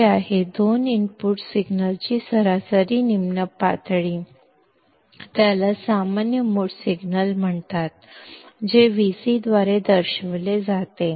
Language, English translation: Marathi, Which is, the average low level of the two input signals and is called as the common mode signal, denoted by Vc